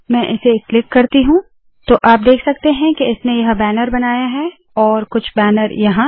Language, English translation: Hindi, Let me go click this, so you can see that it has created this banner here and some banner here